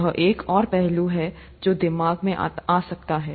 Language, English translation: Hindi, That is another aspect that could come to mind